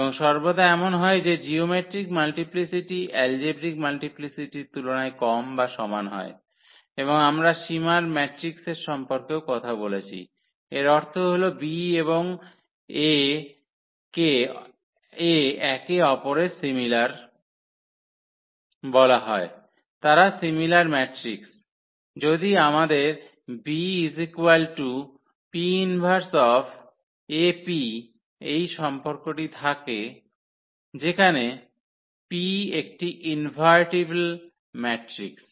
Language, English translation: Bengali, And always this is the case that geometric multiplicity is less than equal to the algebraic multiplicity and we have also talked about the similar matrices; that means, B and A are called the similar to each other they are the similar matrices, if we have this relation that B is equal to P inverse AP for some invertible matrix P